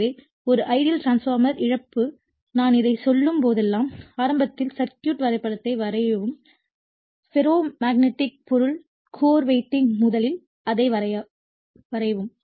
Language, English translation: Tamil, So, in an ideal transformeRLoss of whenever I am telling this first you draw the circuit diagram in the beginning right the ferromagnetic material the core the winding first you draw it